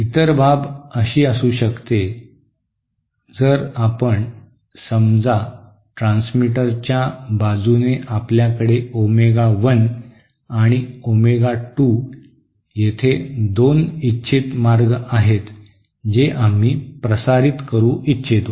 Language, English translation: Marathi, The other scenario could be you know suppose at the especially at the transmitter side, transmitter side say we have 2 desired channels with centre frequencies at omega 1 and omega 2 that we want to transmit